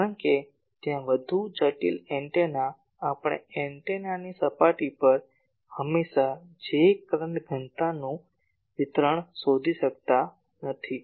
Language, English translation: Gujarati, Because more complicated antennas there we cannot always find the J current density distribution on the antenna surface